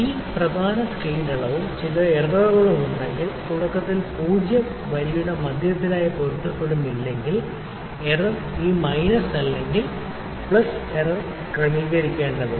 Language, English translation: Malayalam, And if it is main scale reading and if there is some error, if in the beginning the 0 is not coinciding with the center of the line then error has to be adjusted this minus or plus minus error